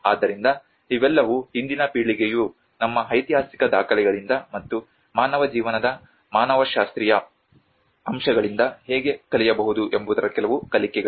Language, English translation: Kannada, \ \ So, these are all some learnings of how the today's generation can also learn from our historical records and the anthropological aspect of human life